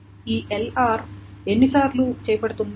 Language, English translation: Telugu, And how many times this LR is being done